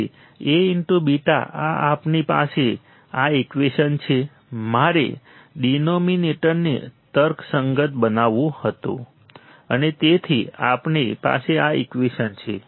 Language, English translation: Gujarati, So, A into beta is this we have this equation I had to rationalize the denominator and so we have this equation is it